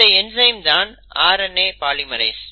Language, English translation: Tamil, Now, where does a RNA polymerase bind